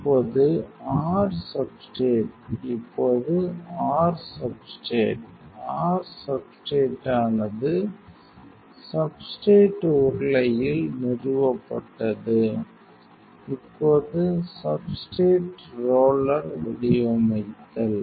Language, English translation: Tamil, Now, your substrate is; now your substrate fixed on the substrate roller; now molding even substrate roller